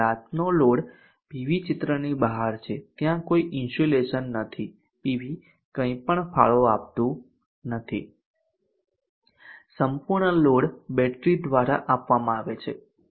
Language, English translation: Gujarati, The night load PV is out of the picture there is no insulation PV does not contribute anything the entire load is supported by the battery